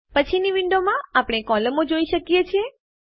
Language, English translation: Gujarati, In the next window, we see our columns